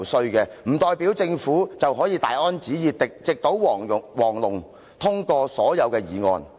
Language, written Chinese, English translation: Cantonese, 她說這不代表政府可以大安旨意、直搗黃龍，通過所有議案。, She said that it does not mean that the Government can take it for granted hitting right at the bulls eye and getting all the motions through this Council